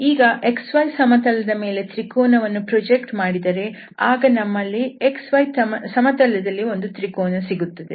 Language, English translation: Kannada, So if we do in this xy plane then we are getting this triangle there